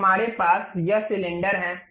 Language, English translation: Hindi, So, we have this cylinder